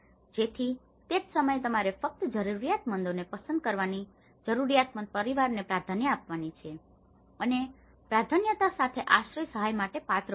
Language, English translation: Gujarati, So, that is where you need to select only the needy is to given the priority for the neediest households and would be eligible for the shelter assistance with priority